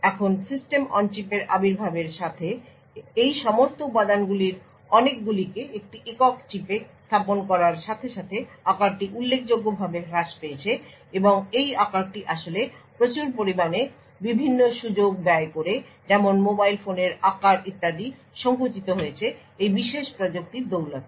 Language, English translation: Bengali, Now with the advent of the System on Chip and lot of all of this components put into a single chip the size has reduced considerably and this size actually cost a large number of different opportunities for example the size of mobile phones etc